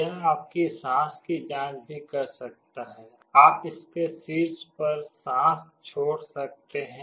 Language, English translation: Hindi, It can also check your breath; you can exhale on top of it